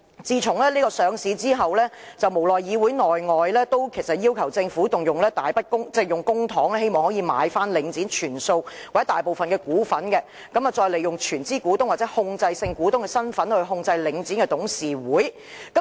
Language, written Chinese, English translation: Cantonese, 自從領展上市後，其實在議會內外也曾無奈地要求政府動用大筆公帑，購回領展全數或大部分股份，再利用全資股東或控制性股東的身份來控制領展的董事會。, Since the listing of Link REIT in fact demands were made within and outside the Council with great reluctance urging the Government to spend a substantial amount of public money on buying back all or the majority of the shares of Link REIT and to gain control over the Board of Directors of Link REIT by making use of the status of the sole shareholder or controlling shareholder